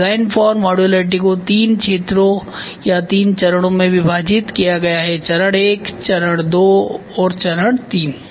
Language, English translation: Hindi, So, the design for modularity is divided into three zones or three phases phase I phase II and phase III